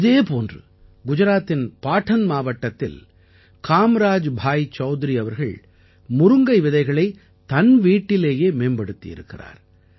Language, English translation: Tamil, In the same way Kamraj Bhai Choudhary from Patan district in Gujarat has developed good seeds of drum stick at home itself